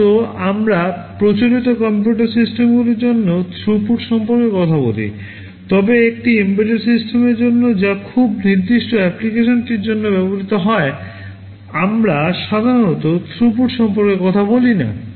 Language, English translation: Bengali, Normally, we talk about throughput for conventional computer systems, but for an embedded system that is meant for a very specific application, we normally do not talk about throughput